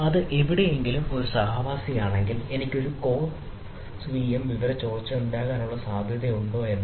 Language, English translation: Malayalam, so if it is a co resident somewhere, rather whether there is a possibility that then i can have a cross vm information leakage, right